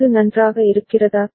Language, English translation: Tamil, Is it fine